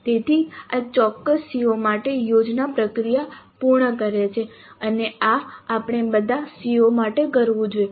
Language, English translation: Gujarati, So this completes the plan process for a particular CO and this we must do for all COs